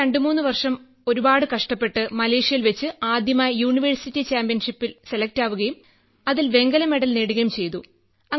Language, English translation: Malayalam, Then I struggled a lot for 23 years and for the first time I got selected in Malaysia for the University Championship and I got Bronze Medal in that, so I actually got a push from there